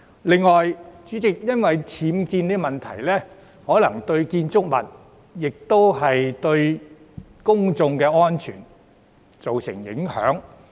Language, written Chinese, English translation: Cantonese, 此外，代理主席，因為僭建問題，相關建築物可能會對公眾安全造成影響。, Besides Deputy President due to the existence of UBWs the buildings concerned may have some negative impact on public safety